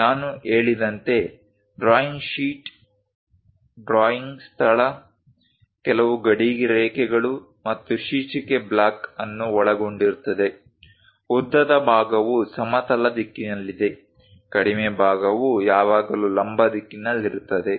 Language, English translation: Kannada, As I mentioned, drawing sheet involves a drawing space, few border lines, and a title block; longer side always be in horizontal direction, shorter side always be in the vertical direction